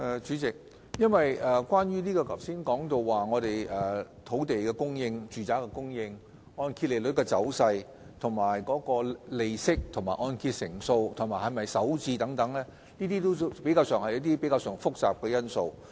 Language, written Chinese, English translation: Cantonese, 主席，關於剛才提到的土地供應、住宅供應、按揭利率走勢、利息、按揭成數和是否首次置業等，均是相對比較複雜的因素。, President the factors mentioned earlier including supply of land supply of residential units the trend of mortgage interest rates interest rates LTV ratios and whether the mortgagor is a first - time home buyer etc . are rather complicated